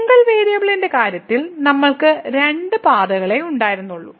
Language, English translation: Malayalam, While in the case of single variable, we had only two paths